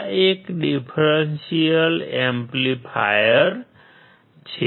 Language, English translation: Gujarati, This is a differential amplifier